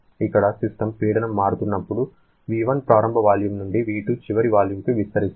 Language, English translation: Telugu, Here the system is expanding from an initial volume of V1 to the final volume of V2 during when the pressure is changing